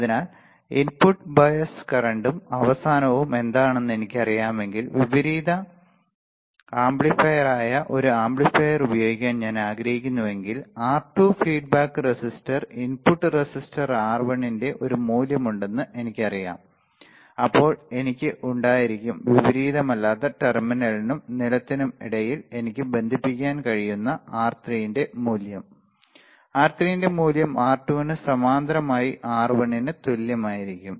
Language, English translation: Malayalam, So, if I know what is input bias current and the end I know if that if I want to use an amplifier that is an inverting amplifier, then I know that there is a value of R2 feedback resistor input resistor R1, then I will have value of R3 which we can which I can connect between non inverting terminal and ground and that value of R3 would be equal to R1 parallel to R2